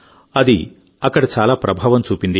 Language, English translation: Telugu, It has had a great impact there